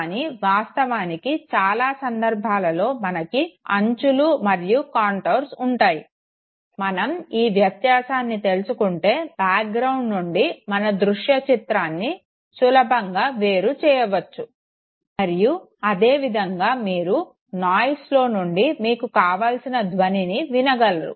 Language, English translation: Telugu, But in reality in most of the cases no, we have the edges and we have the contours okay, if you are able to establish this distinction then you would be very easily able to see a visual image against a background, and similarly you can hear a sound against the noise that you are hearing